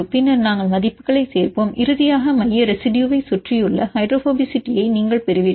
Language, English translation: Tamil, Then we add the values and finally, you get the surrounding hydrophobicity of the central residue right